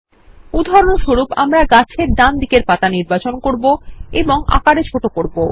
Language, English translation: Bengali, For example let us select the leaves on the right side of the tree and reduce the size